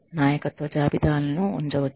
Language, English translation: Telugu, Leadership inventories can be kept